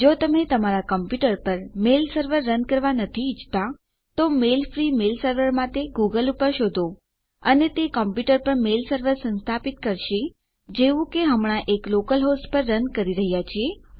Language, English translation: Gujarati, If you dont want to run a mail server on your computer, google for at mail free mail server and this will install a mail server on your computer just like we are doing now running on a local host